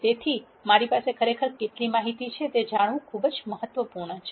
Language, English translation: Gujarati, So, it is important to know how much information I actually have